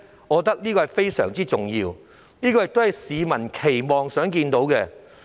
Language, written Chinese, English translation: Cantonese, 我認為這是非常重要的，也是市民期望看到的。, I think this is very important and also what the public wish to see